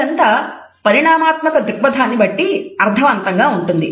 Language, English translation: Telugu, So, this all makes sense from an evolutionary perspective